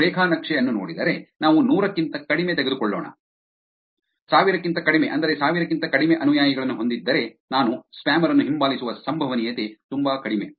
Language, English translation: Kannada, If you look at the graph let us take less than 100, less than 1000 which is if I have followers which are less than 1000,, there is very less probability that I will actually follow the spammer back